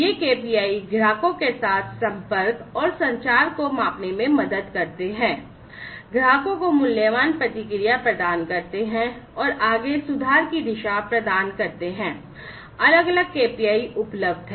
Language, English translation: Hindi, These KPIs also help measure the connectivity and communication with customers, providing valuable feedback to the customers, and driving towards further improvement; so there are different KPIs